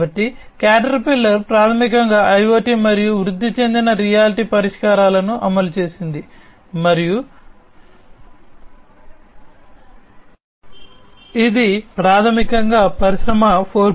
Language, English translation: Telugu, And so Caterpillar basically has implemented IoT and augmented reality solutions and that is basically a step forward towards Industry 4